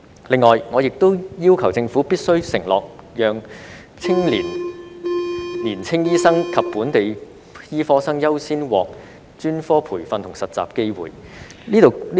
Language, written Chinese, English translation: Cantonese, 此外，我亦要求政府必須承諾讓年青醫生及本地醫科生優先獲專科培訓和實習的機會。, Moreover I also request the Government to undertake that young doctors and local medical students will be given priority in specialist training and internship